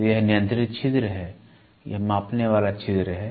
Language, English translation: Hindi, So, this is controlled orifice this is the measuring orifice